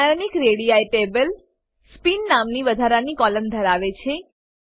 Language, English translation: Gujarati, Ionic radii table has an extra column named Spin